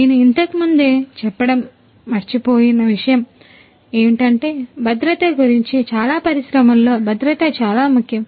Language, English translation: Telugu, One more thing that I forgot to mention earlier is what about safety, safety is very important in most of the industries